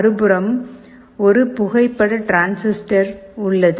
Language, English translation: Tamil, And on the other side, there is a photo transistor